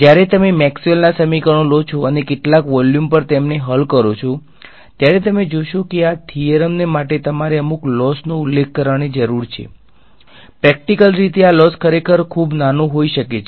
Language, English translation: Gujarati, When you take Maxwell’s equations and solve them over some volume, you will find that you need to specify some tiny amount of loss for this theorem to hold to, practically this loss can be really really small